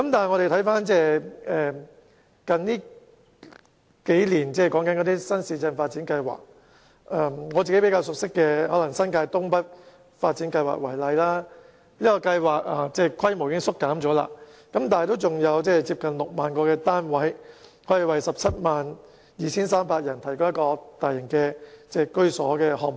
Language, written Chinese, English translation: Cantonese, 我們看看近年的新市鎮發展計劃，以我較熟悉的新界東北發展計劃為例，雖然規模已有所縮減，但依然是一個可提供接近6萬個單位，並為 172,300 人提供居所的大型項目。, Let us look at the New Town Development Programme in recent years and take the North East New Territories New Development Areas as an example with which I am more familiar . Although the project has been significantly scaled down it is still a large - scale project providing nearly 60 000 housing units for 172 300 people